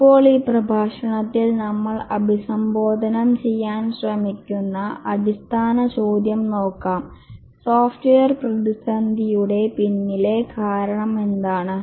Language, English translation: Malayalam, Now let's look at the basic question that we have been trying to address in this lecture is that what is the reason behind software crisis